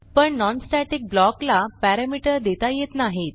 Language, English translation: Marathi, But the non static block cannot be parameterized